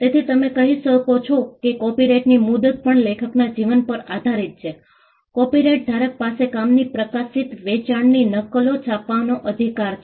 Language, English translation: Gujarati, So, you can say that the term of the copyright is also dependent on the life of the author, the copyright holder has the right to print publish sell copies of the work